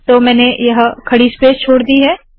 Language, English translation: Hindi, So I have left this vertical space